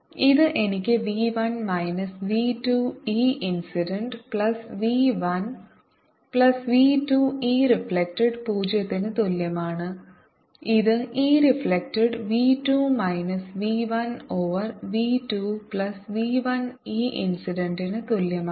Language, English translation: Malayalam, it was v two minus v one over v two plus v one e incident and e transmitted is equal to two v two over two plus v one e incident